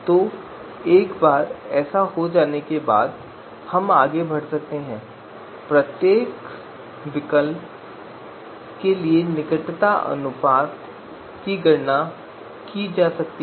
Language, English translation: Hindi, So once that is there we can go ahead and compute the you know closeness ratio for each alternative